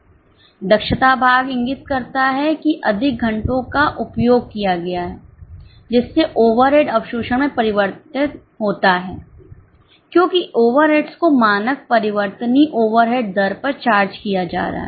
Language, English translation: Hindi, Efficiency part indicates that more hours were consumed because more hours leads to changes of overhead absorption because the overheads are being charged at standard variable overhead rate